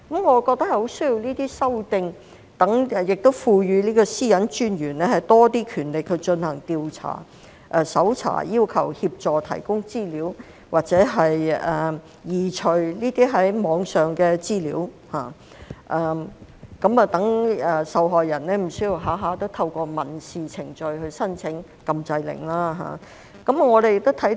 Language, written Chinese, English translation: Cantonese, 我覺得很需要作出這些修訂，亦要賦予私隱專員更多權力進行調查、搜查、要求協助或提供資料，或移除這些網上資料，讓受害人無須動輒要透過民事程序申請禁制令。, I think there is a great need to make these amendments and give the Commissioner more powers to carry out investigations conduct searches and request assistance provision of information or removal of such online data so that the victims are not often left with no choice but to apply for an injunction order through civil proceedings